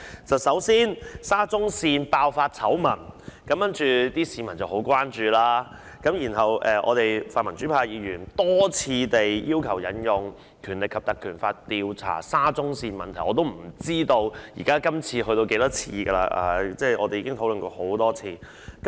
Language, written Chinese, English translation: Cantonese, 首先，沙田至中環線爆發醜聞，市民十分關注，然後泛民主派議員多次要求引用《立法會條例》調查沙中線問題，我也不知道今次是第幾次，我們已就此問題討論很多次了。, It all started with the outbreak of scandals involving the Shatin to Central Link SCL which has aroused grave concern from the public . Then the pro - democracy Members repeatedly demanded that the Legislative Council Ordinance be invoked to probe into the problems of SCL . I cannot tell for how many times this proposal had been made before it is again proposed here today